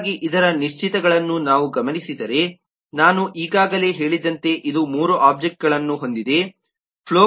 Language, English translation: Kannada, so if we look in to the specifics of this, so it has three objects